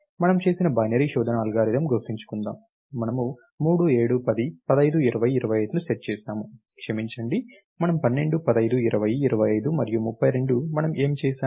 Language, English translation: Telugu, Remember the binary search algorithm that we did, we set 3, 7, 10, 15, 20, 25, sorry we should be a 12 ,15, 20, 25 and 32, what we did